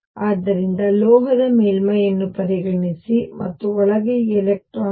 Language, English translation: Kannada, So, consider a metallic surface, and there these electrons inside